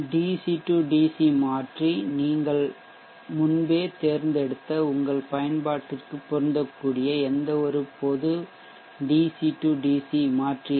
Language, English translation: Tamil, The DC DC converter for any general DC DC converter that fits your application which you would have pre chosen